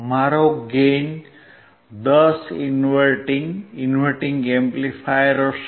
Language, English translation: Gujarati, My gain would be 10 inverting, inverting amplifier